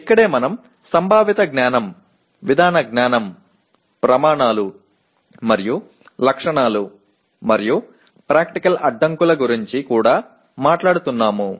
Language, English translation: Telugu, And this is where we are also talking about Conceptual Knowledge, Procedural Knowledge, Criteria and Specifications and even Practical Constraints